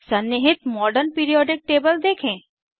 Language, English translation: Hindi, Observe the built in Modern periodic table